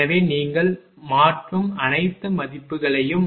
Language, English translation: Tamil, So, substitute all the values all the values you substitute